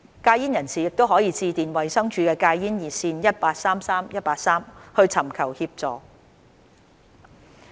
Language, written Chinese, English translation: Cantonese, 戒煙人士可致電衞生署戒煙熱線 1833,183 尋求協助。, Quitters can call the smoking cessation hotline of the Department of Health at 1833 183 for assistance